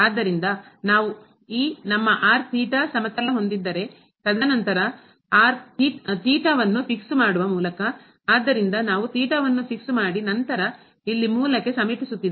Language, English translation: Kannada, So, if we have this is our theta plane, and then by fixing theta; so if we have fixed theta and then approaching to origin here